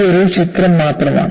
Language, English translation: Malayalam, It is only a number